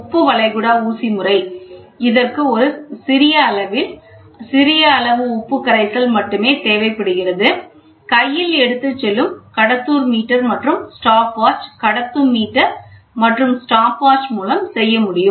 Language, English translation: Tamil, The salt gulf injection method which requires only a small quantity of salt solution, a hand held conducting meter and the stopwatch we can do it